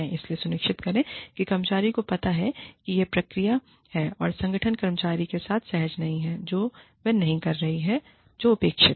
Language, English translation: Hindi, So, make sure, that the employee realizes that, this is the process, that the organization is not comfortable, with the employee not doing, what is expected